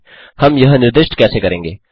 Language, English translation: Hindi, How do we specify that